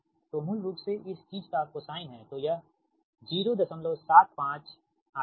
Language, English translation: Hindi, so basically it is cosine of this thing